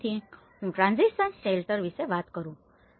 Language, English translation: Gujarati, So, I am talking about the transitional shelter